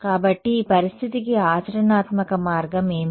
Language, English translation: Telugu, So, what is the practical way around this situation